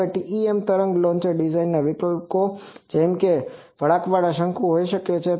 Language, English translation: Gujarati, Now, TEM wave launcher design options it can be a bent circular cone